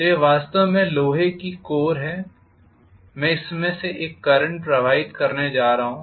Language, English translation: Hindi, So this is actually the iron core and I am going to have a current pass through this